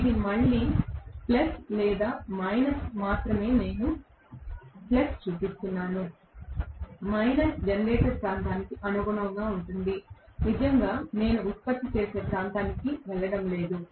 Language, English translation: Telugu, This is what I remember, this will be again plus or minus only I am showing plus, minus will correspond to generator region I am not really going into generating region okay